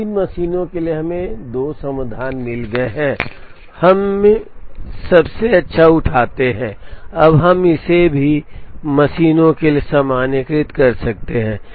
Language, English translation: Hindi, Now, for three machines we got 2 solutions and we pick the best, now can we generalize it to m machines